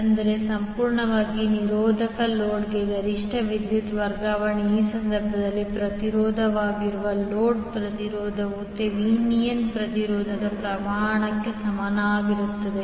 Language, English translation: Kannada, Tthat means that the maximum power transfer to a purely resistive load the load impedance that is the resistance in this case will be equal to magnitude of the Thevenin impedance